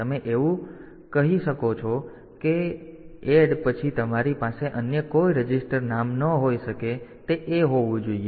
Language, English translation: Gujarati, So, there is nothing you say you cannot have after ADD you cannot have any other register name it has to be A ok